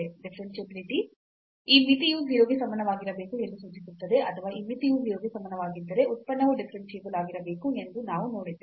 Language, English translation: Kannada, That the differentiability imply this that this limit must be equal to 0, or we have also seen that if this limit equal to 0 then the function must be differentiable